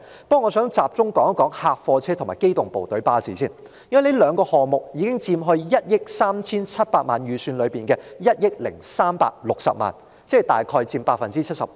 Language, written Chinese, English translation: Cantonese, 不過我想先集中談談貨車及機動部隊巴士，因為這兩個項目已佔 137,976,000 元預算開支中的1億360萬元，即約佔 75%。, But I would first like to focus my discussion on police trucks and PTU buses because these two items account for 103.6 million of the estimated expenditure of 137,976,000 ie . approximately 75 %